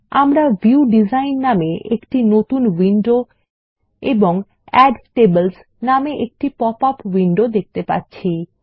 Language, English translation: Bengali, We see a new window called the View Design and a popup window that says Add tables